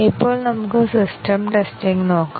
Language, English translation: Malayalam, Now, let us look at system testing